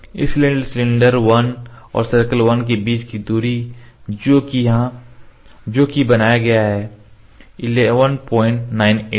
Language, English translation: Hindi, So, distance between cylinder 1 this is circle one and cylinder 1 that is a origin is 11